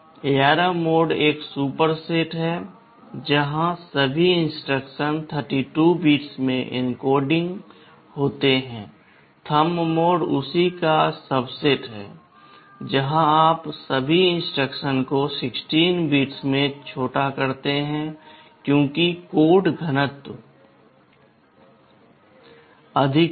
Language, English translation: Hindi, ARM mode is a superset where all instruction are encoding in 32 bits, Thumb mode is a subset of that where you make all the instructions shorter in 16 bits because of which code density will be higher